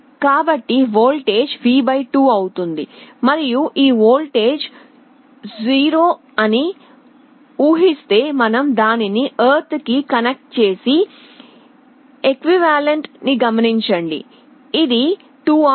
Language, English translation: Telugu, So, the voltage will be V / 2, and assuming this voltage is 0, you connect it to ground and look at the equivalent; it is 2R